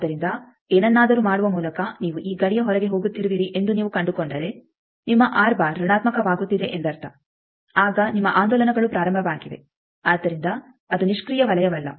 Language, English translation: Kannada, So, if by doing something you find out that you are going outside of this outer boundary that means your R bar that is becoming negative then your oscillations have started, so it is no more a passive circle